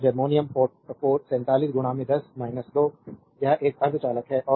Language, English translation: Hindi, And germanium 47 into 10 to the power minus 2 it is a semiconductor